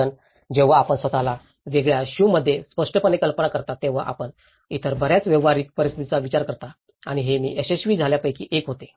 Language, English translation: Marathi, Because when you imagine yourself in a different shoe obviously, you think of many other practical situations and this was one of the successful which I can see